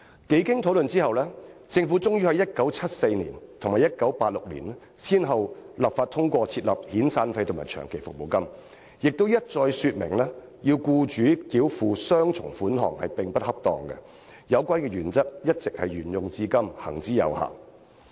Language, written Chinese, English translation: Cantonese, 經多番討論後，政府終於在1974年及1986年，先後立法通過設立遣散費和長期服務金，亦一再表明要僱主繳付雙重款項並不恰當，該原則一直沿用至今，行之有效。, After many rounds of discussions the Government finally enacted legislation to introduce severance payment and long service payment in 1974 and 1986 respectively . It also repeatedly stated that it was inappropriate to require employers to make double payments . This principle has been applied since then and the mechanism has worked well